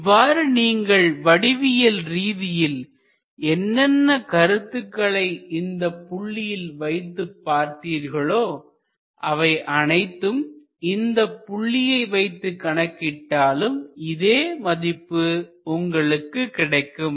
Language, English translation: Tamil, So, whatever geometrical consideration you had on this side, if you have it on the other side, it will exactly lead you to the same thing